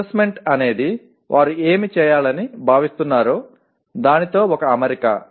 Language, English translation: Telugu, Assessment is an alignment with what they are expected to do